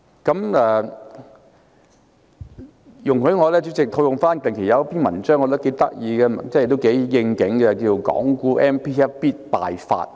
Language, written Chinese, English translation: Cantonese, 主席，容許我套用近期一篇我認為頗有趣的文章，名為"港股 MPF 必敗法"。, President please allow me to cite a recent article entitled Sure lose of MPF Hong Kong Equity Funds which is rather interesting